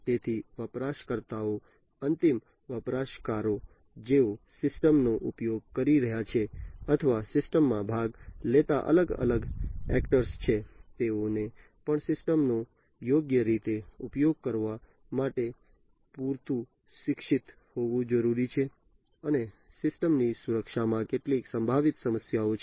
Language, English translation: Gujarati, So, the users, the end users, who are using the system or are different actors taking part in the system they will also need to be educated enough to use the system properly, and that there are some potential issues with security of the system of the infrastructure of the data and so on